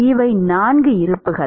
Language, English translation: Tamil, These are the 4 processes